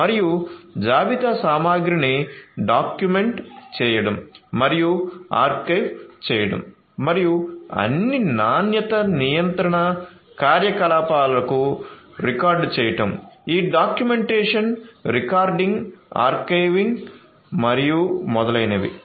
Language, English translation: Telugu, And documenting and archiving inventory material and recording all the quality control activities, this documentation recording archiving and so on